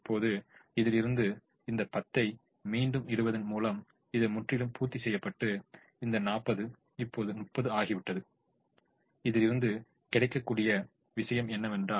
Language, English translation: Tamil, now, by putting this ten again, this is entirely met and this forty has now become thirty, which is the thing that is available now